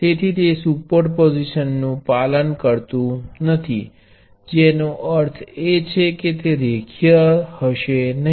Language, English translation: Gujarati, So, it does not obey superposition which means that it is not linear